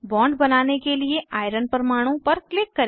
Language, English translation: Hindi, Click on iron atom to draw a bond